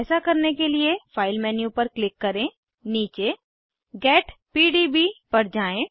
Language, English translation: Hindi, To do so, click on File menu, scroll down to Get PDB